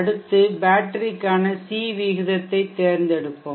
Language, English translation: Tamil, Next let us select the C rate for the battery